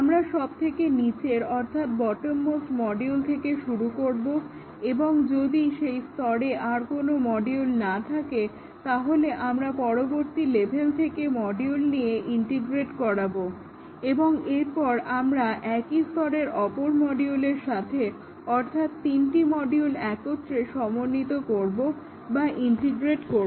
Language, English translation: Bengali, We start with the bottom most module; and if there are no other module at that layer, we take the next level integrate, and then we integrate with another module in the same layer, three modules together